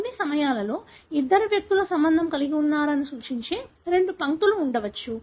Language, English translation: Telugu, At times there could be two lines like this that would denote that these two individuals are related